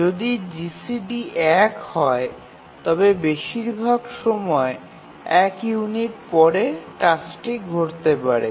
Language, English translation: Bengali, So if the GCD is one then then at most after one time unit the task can occur